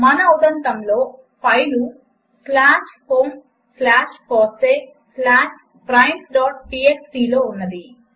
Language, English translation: Telugu, The file, in our case, is presented in slash home slash fossee slash primes.txt